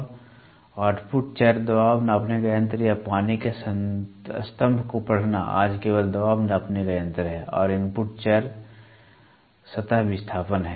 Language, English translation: Hindi, The output variable in the pressure gauge or water column reading today it is only pressure gauge and the input variable is surface displace is a surface displacement